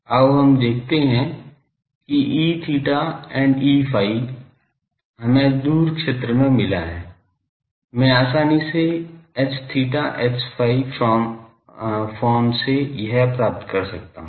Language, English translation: Hindi, Let us see that E theta and E phi, we got in the far field I can easily get H theta H phi from this